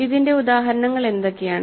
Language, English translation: Malayalam, So, what are the examples of this